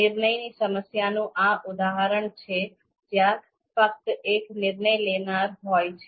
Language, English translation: Gujarati, So this is a typical example of a decision problem where just there is just one decision maker